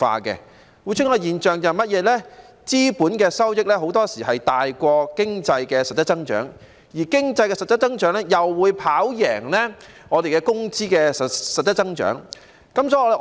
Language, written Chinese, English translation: Cantonese, 就是資本收益很多時候大於經濟實質增長，而經濟實質增長又會跑贏工資實質增長。, What turns out is that capital gains often grow at a more significant rate than the real economy while the growth of the latter outpaces the actual increase in wages